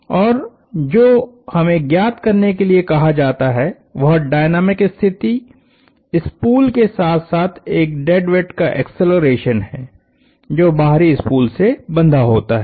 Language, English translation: Hindi, And what we are asked to find is the dynamical condition, the accelerations of the spool as well as a dead weight that is tight to the outer spool